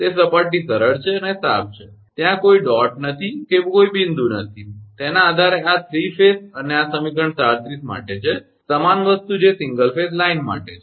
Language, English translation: Gujarati, That is surface is smooth and clean no dot nothing is there, based on that this is for 3 phase and equation 37 same thing that is for single phase line